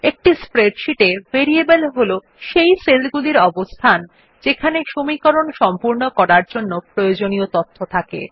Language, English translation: Bengali, In a spreadsheet, the variables are cell locations that hold the data needed for the equation to be completed